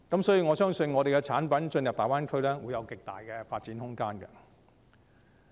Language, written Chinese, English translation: Cantonese, 所以，我相信本港產品進入大灣區，將會有極大的發展空間。, Therefore I believe that there will be ample room for Hong Kong products to make inroads into the Greater Bay Area